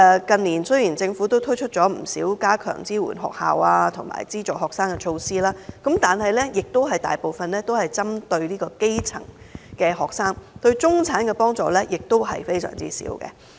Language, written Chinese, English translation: Cantonese, 雖然近年政府推出了不少加強支援學校及資助學生的措施，但大部分都是針對基層學生，對中產學生的幫助少之又少。, Although the Government has in recent years implemented a number of measures to strengthen its support to schools and students these measures mainly target at the grass - roots students and fail to benefit middle - class students